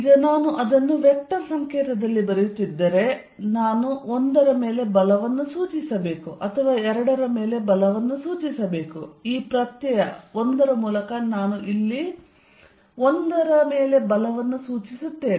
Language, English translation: Kannada, Now, if I am writing it in the vector notation I have to denote force on 1 or force on 2, let us write the force on 1 which I denote here by this subscript 1 here